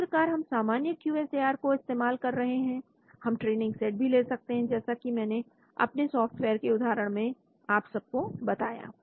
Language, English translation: Hindi, So we can also have just like normal QSAR we can also have a training set like I showed you in my example of software